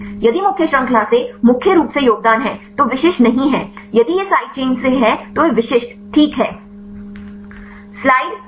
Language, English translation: Hindi, If the contribution mainly from the main chain then you can this is not specific if that is from the side chain then they are specific fine